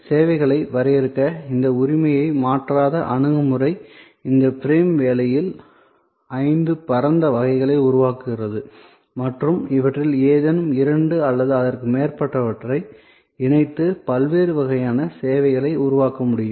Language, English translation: Tamil, And this non transfer of ownership oriented approach to define services produce five broad categories with in this frame work and any two or more of these can be combined to create different kinds of services